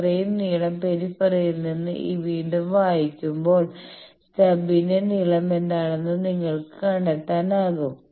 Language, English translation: Malayalam, So, this much this length again reading from the periphery you can find out what is the length of the stub